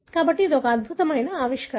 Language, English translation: Telugu, So, that is the remarkable discovery